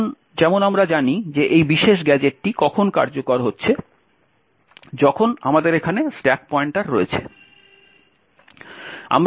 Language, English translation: Bengali, Now as we know when this particular gadget is executing, we have the stack pointer present here